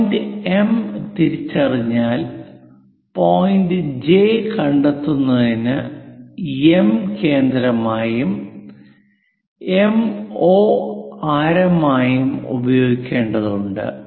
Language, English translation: Malayalam, Once we identify M point, what we have to do is use M as centre and radius MO to locate J point